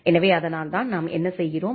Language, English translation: Tamil, So, that is why what we do